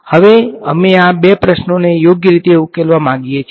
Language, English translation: Gujarati, Now, we want to solve these two questions right